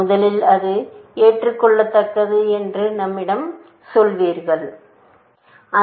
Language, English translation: Tamil, First, we should convince ourselves that it is admissible